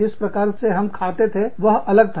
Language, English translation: Hindi, The way, we ate, was different